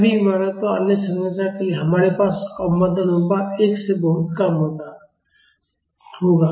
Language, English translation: Hindi, For all the buildings and other structures, we will have damping ratio much less than 1